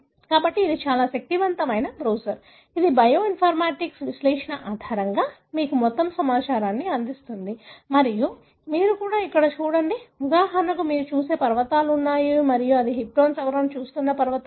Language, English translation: Telugu, So, that is a very, very powerful browser which gives you all the information based on bioinformatics analysis and you also see here for example there are mountains that you see and these are regions where they are looking at the histone modification